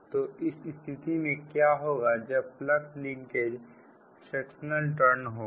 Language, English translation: Hindi, then flux linkage will be: this is the fractional turn